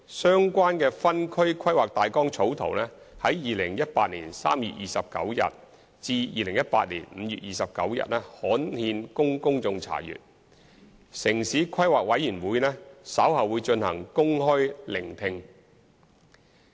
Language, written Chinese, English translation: Cantonese, 相關的分區規劃大綱草圖於2018年3月29日至2018年5月29日刊憲供公眾查閱，城市規劃委員會稍後會進行公開聆聽會。, The draft Siu Ho Wan Outline Zoning Plan OZP was gazetted for public inspection from 29 March to 29 May . The Town Planning Board TPB will conduct public hearings later